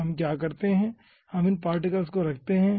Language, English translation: Hindi, we give this particles